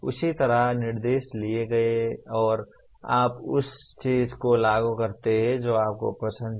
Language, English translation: Hindi, So same way, instructions are given and you implement what you like within that